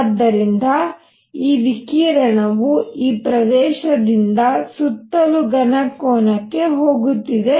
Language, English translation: Kannada, So, this radiation is going all around from this area into the solid angle all around